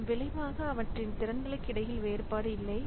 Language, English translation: Tamil, So as a result, there is no distinction between their capabilities